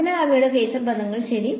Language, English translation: Malayalam, So, those are the phasor relations ok